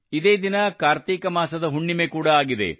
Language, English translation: Kannada, This day is also Kartik Purnima